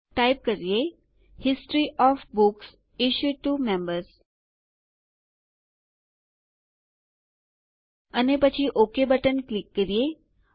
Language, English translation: Gujarati, Let us type History of Books Issued to Members and then click on Ok button